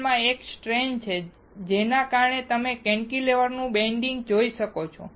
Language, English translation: Gujarati, There is a stress in the material because of which you can see bending of the cantilever